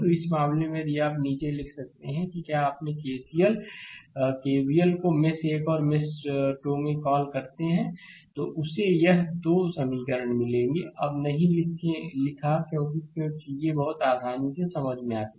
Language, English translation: Hindi, So, in this case, if we apply write down your what we call that your KCL right KVL in mesh 1 and mesh 2, then you will get this 2 equations, I did not write now why because things are very easily understandable for you